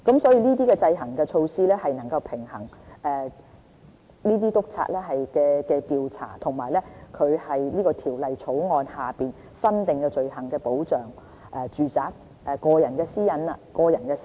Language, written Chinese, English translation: Cantonese, 所以，這些制衡措施能夠平衡督察調查在《條例草案》下新訂的罪行的權力和保障住宅個人私隱的需要。, Therefore these measures can provide checks and balances between inspectors powers to investigate a new offence under the Bill and the protection of privacy in domestic premises